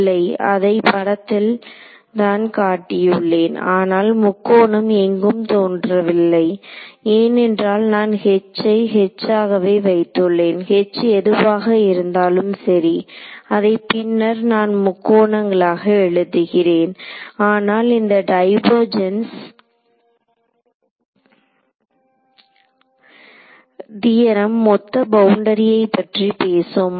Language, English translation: Tamil, No, I mean I have just indicated by figure, but the triangle does not appear because I have kept H as H whatever H may be later I will write H in terms of triangles ok, but as this goes the this divergence theorem talks about the overall boundary